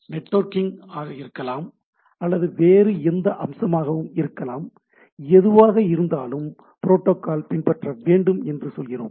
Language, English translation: Tamil, It maybe for networking or any other aspects also we say that the protocol to be maintained etcetera